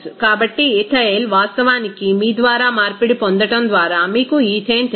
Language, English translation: Telugu, So, ethyl is actually obtained by you know conversion of you know ethane